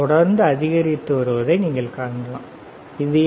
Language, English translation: Tamil, You can see keep on increasing, what is this